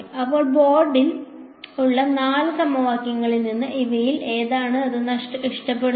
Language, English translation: Malayalam, So, from these four equations that we have on the board which of these does it lo like